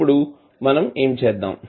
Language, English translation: Telugu, So what we will do